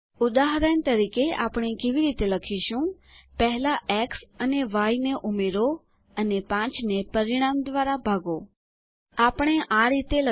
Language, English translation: Gujarati, For example, how do we write First add x and y, then divide 5 by the result